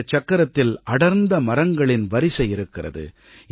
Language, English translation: Tamil, This circle houses a row of dense trees